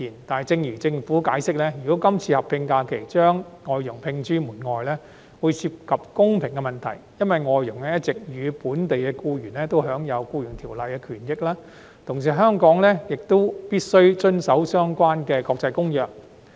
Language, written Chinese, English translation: Cantonese, 但是，正如政府解釋，如果今次劃一假期將外傭摒諸門外，會涉及公平問題，因為外傭一直與本地僱員享有《僱傭條例》的權益，而香港亦必須遵守相關的國際公約。, However as the Government has explained it will be unfair to FDHs if they are excluded from the proposed alignment . This is because FDHs have all along enjoyed equal entitlements as local employees under the Employment Ordinance and Hong Kong also is obliged to comply with the relevant international convention